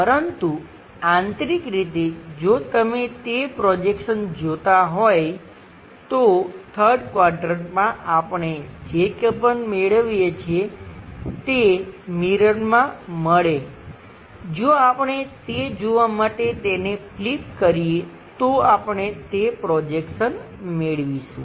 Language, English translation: Gujarati, But internally if you are looking that projection whatever we are getting on the 3rd quadrant that mirror, if we flip it see that we will get that projection